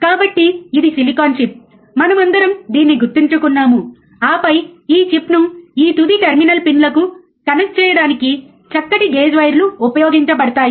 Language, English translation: Telugu, So, this is the silicon chip, right we all remember this, and then fine gauge wires are used to connect this chip to the this final terminal pins